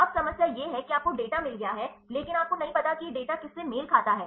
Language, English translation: Hindi, Now, the problem is you get the data, but you do not know this data corresponds to what right